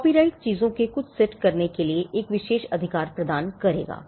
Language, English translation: Hindi, So, a copyright would confer an exclusive right to do certain set of things